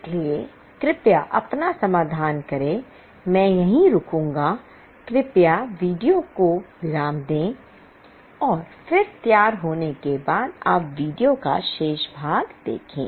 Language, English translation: Hindi, I will halt here, please pause the video and then after you are ready see the remaining part of video